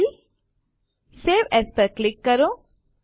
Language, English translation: Gujarati, Click on File Save As